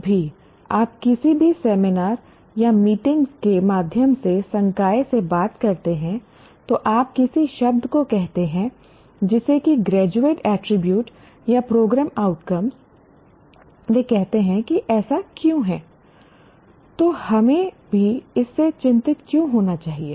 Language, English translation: Hindi, Whenever you talk to faculty through any of the seminars or meetings, the moment you utter a word like graduate attribute or program outcome, they say, what is it, why should we be even concerned with it